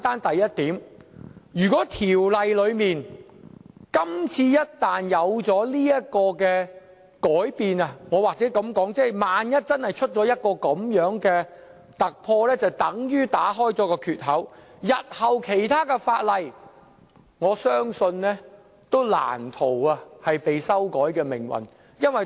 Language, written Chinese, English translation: Cantonese, 第一，如果今次這項條例草案可以這樣修改，或萬一出現這樣的突破，那便會打開一個缺口，而我相信其他法例日後也難逃修改的命運。, First if the change under this amendment is accepted or if they manage to make such a breakthrough it will open a gap and I believe amendments of other laws in this manner can hardly be prevented in future